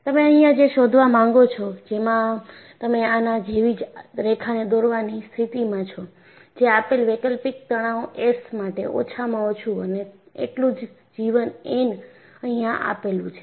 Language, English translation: Gujarati, And what you find here is, you are in a position to draw a line like this; that gives the least expected life N for a given alternating stress S